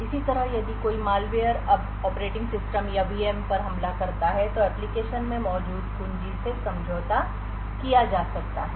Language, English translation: Hindi, Similarly, if a malware now attacks the operating system or the VM then the key which is present in the application can be compromised